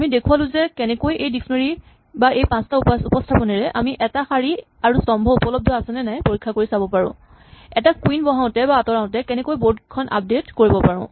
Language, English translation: Assamese, So, we have shown that using these dictionary or these 5 different representations we can check whether a row and column is available, how to update the board when we place a queen and we undo the queen